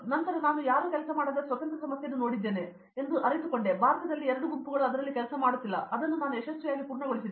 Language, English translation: Kannada, Then I realized that see I took a independent problem in which no one worked, in India hardly two groups work on that and I successfully completed it